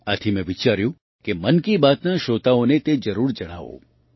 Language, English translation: Gujarati, That's why I thought that I must share it with the listeners of 'Mann Ki Baat'